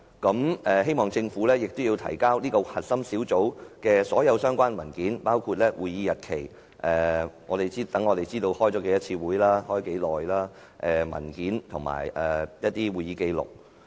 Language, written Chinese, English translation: Cantonese, 我們希望政府提交該核心小組的所有相關文件，包括會議日期——讓我們知道它開了多少次會議和每次會議的時間——會議文件及會議紀錄。, We hope that the Government will produce all relevant documents regarding the core team including the dates of its meetings―for knowing the number of meetings held and the duration of each meeting―meeting documents and minutes of the meetings